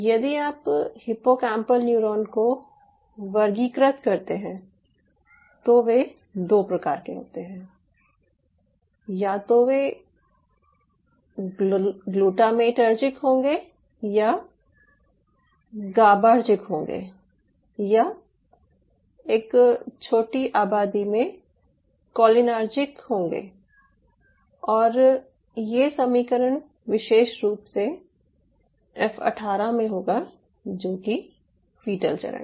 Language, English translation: Hindi, so if you classify the hippocampal neuron, they they falls under two types: either it will be glutamatergic, or it will be gabaergic, or a small population which is cholinergic, especially this is the equation at e eighteen or sorry, f eighteen should call it, ah, embryonic, it is a fetal stage